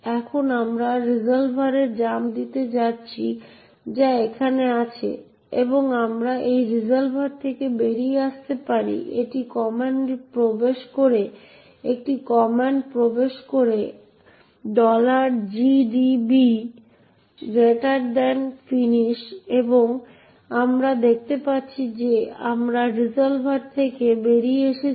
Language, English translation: Bengali, Now, we are going to jump into the resolver, which is here, and we can come out of this resolver by entering a command finish and we see that we have come out of the resolver